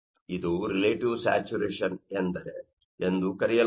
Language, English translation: Kannada, So, this is called relative saturation